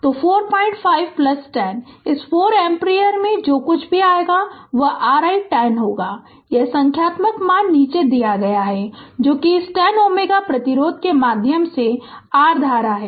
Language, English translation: Hindi, 5 plus 10 right into this 4 ampere, whatever it comes that will be your i 10; this ah this numerical value is given below right, that is your current through this 10 ohm resistance